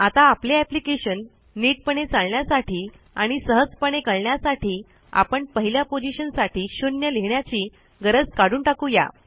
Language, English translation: Marathi, Now what I will do to make this application fully functional and easy to navigate, is eliminate the necessity to write zero for 1